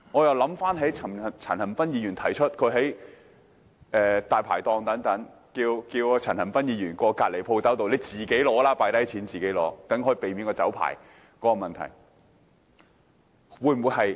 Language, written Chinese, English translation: Cantonese, 因為陳恒鑌議員昨天指出，他在光顧大排檔時，店主讓他到毗鄰的店鋪放下金錢，自己拿啤酒，這樣便可避免沒有酒牌的問題。, I ask this question because Mr CHAN Han - pan pointed out yesterday that when patronizing a Dai Pai Dong he was asked by the owner to pay at an adjacent stall and then get a bottle of beer himself as a means of circumventing his lack of a liquor licence